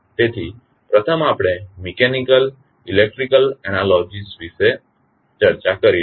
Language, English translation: Gujarati, So, first we will discuss about the mechanical, electrical analogies